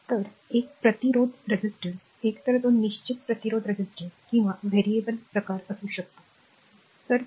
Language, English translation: Marathi, So, a resistor is either a it may be either a fixed resistor or a variable type, right